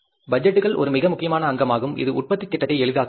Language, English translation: Tamil, Budgets is a very important component which facilitates the production planning